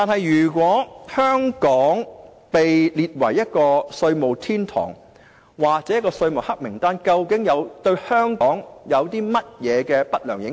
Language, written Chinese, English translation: Cantonese, 如果香港被列為避稅天堂或被列入稅務黑名單，對香港有何不良影響？, If Hong Kong is classified as a tax haven or included in the taxation blacklist how will it be adversely affected?